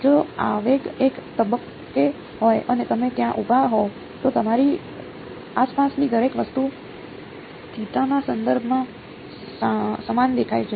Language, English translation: Gujarati, If the impulse is at one point and you are standing over there everything around you looks the same with respect to theta right